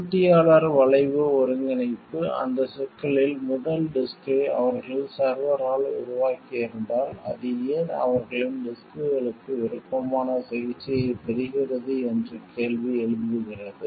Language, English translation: Tamil, Competitor incorporation is questioning first disk on that issue like if, they have made of server, then why it is like their only their disks are getting a preferred treatment